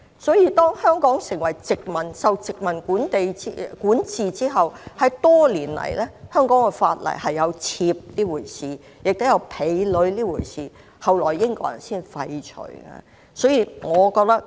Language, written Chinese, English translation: Cantonese, 所以，當香港受殖民管治後，多年來香港的法例有妾這回事，也有婢女這回事，後來才被英國人廢除。, Hence when Hong Kong was under the British colonial rule concubines and slave girls which had long existed in the laws of Hong Kong were abolished by the British